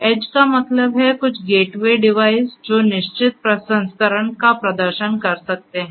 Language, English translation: Hindi, Edge means, some gateway device which can do some per you know which can perform certain processing